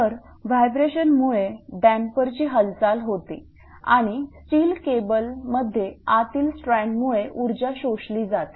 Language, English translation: Marathi, So, movement of the damper is caused by the vibration and energy is absorbed by the inner strand friction in the steel cable right